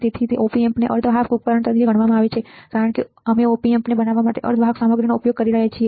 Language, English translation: Gujarati, So, as Op Amps are considered as semiconductor devices because we are using semiconductor material to design the Op Amp